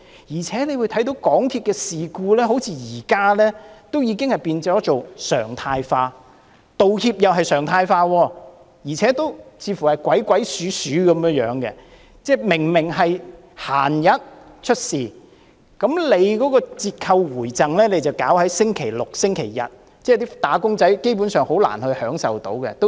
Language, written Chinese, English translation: Cantonese, 而且，大家可看到，現在港鐵發生事故好像已變成常態，連道歉也變成常態，還要是鬼鬼祟祟的樣子，即明明在平日出事，卻選在星期六和星期日給予折扣回贈，這樣，"打工仔"基本上很難享受到有關優惠。, Also as we can see MTR incidents have almost become the order of the day and so have the amends MTRCL made . What is worse it made amends in a sneaky manner . I mean while those incidents happened on weekdays it chose to offer discounts and rebates on Saturdays and Sundays making it difficult for wage earners to enjoy the concessions